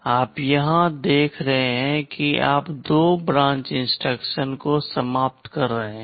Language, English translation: Hindi, So, you see here you are eliminating two branch instructions